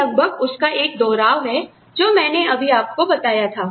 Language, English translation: Hindi, It is almost a repetition of what I just told you